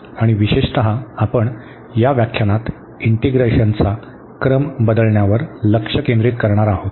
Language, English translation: Marathi, And in particular we will be focusing on the change of order of integration in this lecture